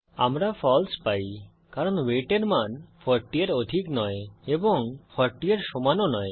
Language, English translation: Bengali, We get a false because the value of weight is not greater than 40 and also not equal to 40